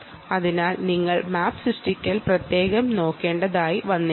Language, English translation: Malayalam, so you may have to look at map creation separately here